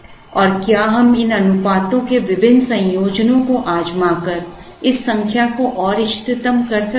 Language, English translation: Hindi, And can we optimize this number further by trying different combinations of these ratios